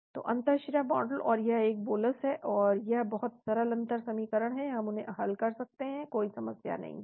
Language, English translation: Hindi, So intravenous model and it is a bolus , so this is very simple differential equations we can solve them no problem